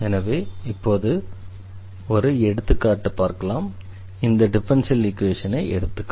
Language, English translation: Tamil, So, here these are the examples of the differential equations